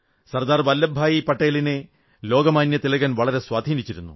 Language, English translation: Malayalam, Sardar Vallabh Bhai Patel was greatly impressed by Lok Manya Tilakji